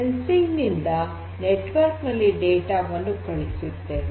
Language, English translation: Kannada, From sensing we have to send the data over a network